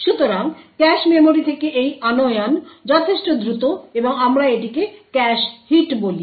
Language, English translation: Bengali, So this fetching from the cache memory is considerably faster and we call it a cache hit